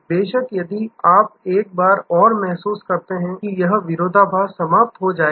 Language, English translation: Hindi, Of course, if you feel one more time that will this paradox disappears